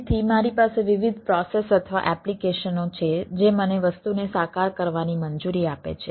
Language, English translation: Gujarati, so i have different processes or applications which allows me to realize the thing